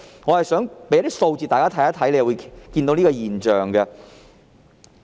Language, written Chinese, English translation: Cantonese, 我想提供一些數字，讓大家看到一個現象。, Let me provide some figures to show Members a phenomenon